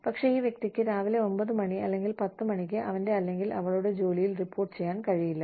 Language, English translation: Malayalam, But, this person cannot report to his or her job, till about 9 in the morning, or 10 in the morning